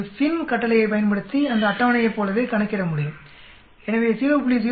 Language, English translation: Tamil, It can also calculate exactly like that table using the FINV command, so 0